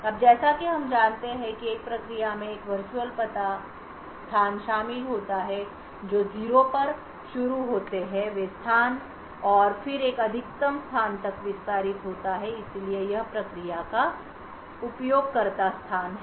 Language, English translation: Hindi, Now as we know a process comprises of a virtual address space which starts at a 0th location and then extends to a maximum location, so this is the user space of the process